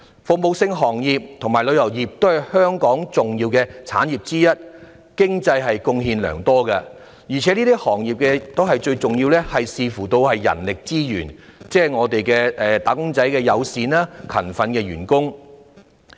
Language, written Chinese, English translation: Cantonese, 服務性行業及旅遊業都是香港的重要產業，經濟貢獻良多，而對這些行業最重要的是人力資源，即友善和勤奮的員工。, The service and tourism industries are important to Hong Kong and have made great economic contributions but they count heavily on human resources that is friendly and diligent staff